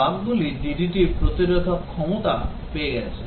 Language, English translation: Bengali, The bugs have got immune to the DDT